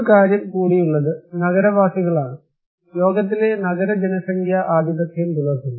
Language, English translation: Malayalam, One more thing is that urban population; urban population in the world is dominating